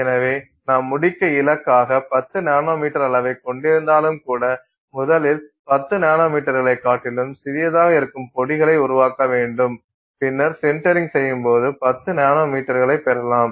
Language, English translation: Tamil, So, even if you were targeting let's say 10 nanometer size to finish with you will actually have to first create powders which are smaller than 10 nanometers and then when you do the sintering you will end up getting 10 nanometers